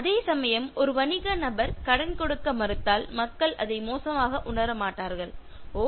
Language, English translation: Tamil, Whereas, if a business person refuses to give loan, so people will not feel that bad and thinking that Oh